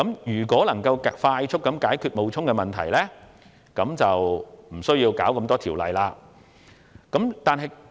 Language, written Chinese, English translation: Cantonese, 如能快速解決冒充的問題，便無須處理多項修例衍生的問題。, If the problem of false identification can be expeditiously resolved it would not be necessary to solve the many problems arising from the legislative amendments